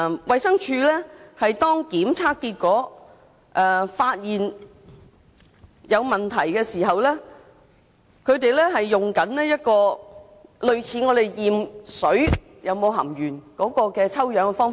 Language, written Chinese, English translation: Cantonese, 衞生署在檢測結果發現有問題時，所採用的是類似檢測食水中是否含鉛的抽樣方法。, When problems are detected in the test results DH adopts an approach similar to the sampling method for testing the presence of lead in drinking water